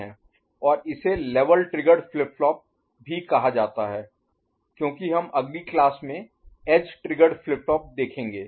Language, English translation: Hindi, And this is also called level triggered flip flop, because we’ll see edge triggered flip flop in the next class